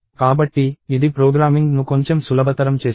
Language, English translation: Telugu, So, this makes the programming slightly more easier